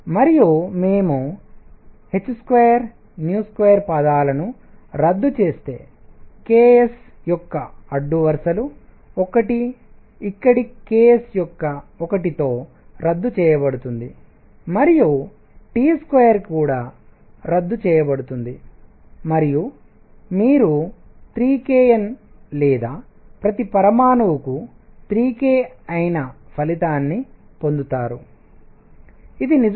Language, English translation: Telugu, And if we cancel terms h square nu square rows 1 of the ks goes with 1 of the ks here and T square is also cancels and you get the result which is 3 k times N or 3 k per atom which is indeed 3 R